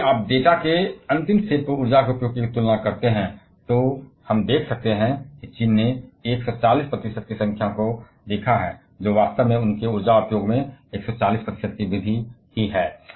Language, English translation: Hindi, Now, if you compare to the energy uses on the last set of data, we can see China has seen 140 percent a staggering number really 140 percent increase in their energy uses